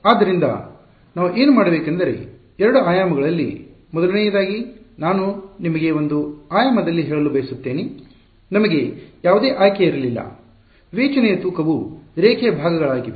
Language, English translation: Kannada, So, what we will do is, in two dimensions, first of all I want to tell you in one dimension we had no choice the weight of discretize is line segments